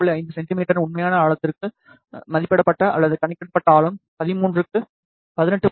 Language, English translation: Tamil, 5 centimeter the estimated or calculated depth was 18